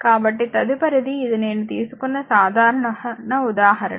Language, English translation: Telugu, So, next is so, this is a simple example I took for you